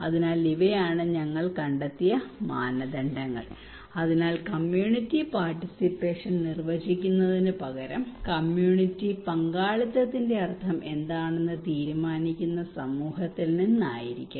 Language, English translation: Malayalam, So these are the criterias we found so therefore instead of we define the community participations it should be from the community who would decide that what is the meaning of community participation